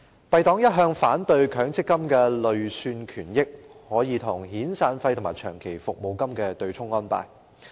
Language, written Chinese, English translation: Cantonese, 敝黨一向反對強制性公積金的累算權益可與遣散費和長期服務金對沖的安排。, Our Party has always been opposed to the arrangement that allows the offsetting of severance payments and long service payments with Mandatory Provident Fund MPF accrued benefits